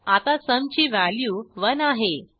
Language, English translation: Marathi, Now sum has the value 2